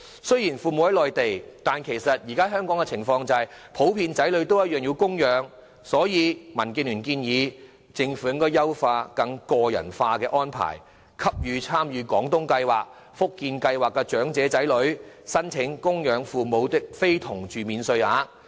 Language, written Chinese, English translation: Cantonese, 雖然父母在內地居住，但身在香港的子女普遍仍需供養他們，所以民建聯建議政府應優化有關計劃，作出更個人化的安排，讓參與廣東計劃、福建計劃的長者的子女可申請供養非同住父母免稅額。, Although they are living in the Mainland financial support would still be required in general from their children in Hong Kong to maintain their daily living and DAB would thus like to propose to the Government that enhancement should be made to the relevant schemes so that more personalized arrangements could be made to allow the children of elderly persons participating in the Guangdong Scheme and Fujian Scheme to apply for the allowance for maintaining parents not residing with them